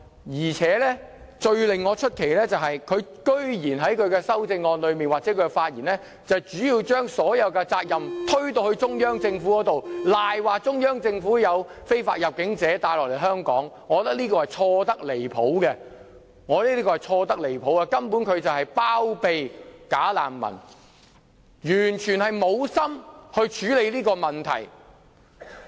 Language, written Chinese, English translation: Cantonese, 至於最令我感到奇怪的是，她居然在她的修正案或發言裏面，將所有責任推給中央政府，誣蔑中央政府把非法入境者推入香港，我覺得這是錯得離譜，她根本是包庇"假難民"，完全沒有意思處理這個問題。, The strangest thing is that she has gone so far as to blame everything on the Central Government in her amendment or remarks . She defames the Central Government for pushing illegal entrants into Hong Kong . I believe this is totally erroneous